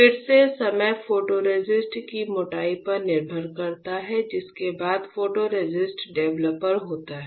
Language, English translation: Hindi, Again the time depends on the thickness of photoresist followed by photoresist developer